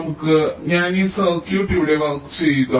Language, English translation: Malayalam, lets i just work out this circuit here